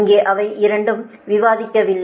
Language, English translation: Tamil, this two also will not discuss here